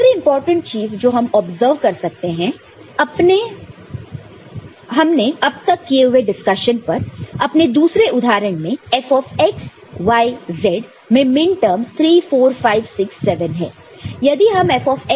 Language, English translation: Hindi, The other important thing that we can observe from whatever discussion we had so far is in the first example, this sorry, second example the F(x, y, z) the minterms are 3 4 5, 6, 7